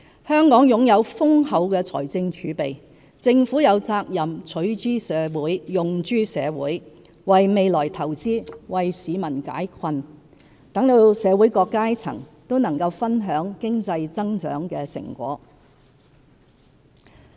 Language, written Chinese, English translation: Cantonese, 香港擁有豐厚的財政儲備，政府有責任取諸社會，用諸社會，為未來投資，為市民解困，讓社會各階層都能分享經濟增長的成果。, With our ample fiscal reserves it is the Governments responsibility to use resources derived from the community for the good of the community invest for the future relieve peoples burdens and enable people from different walks of life to share the fruits of our economic growth